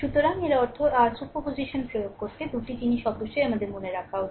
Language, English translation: Bengali, So, that means, your; to apply the superposition 2 things must kept in our mind right